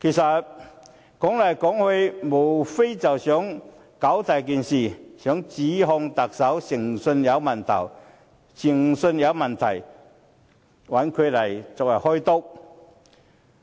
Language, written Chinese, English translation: Cantonese, 說到底，他們無非想把事情"搞大"，想指控特首誠信有問題，找他來"開刀"。, After all they just wanted to stir up big trouble for the Chief Executive by questioning his integrity so that he might have to step down eventually